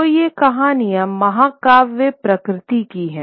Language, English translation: Hindi, So, these stories are of epic nature